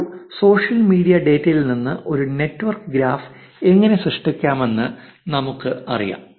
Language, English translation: Malayalam, Now, we know how to generate a network graph from social media data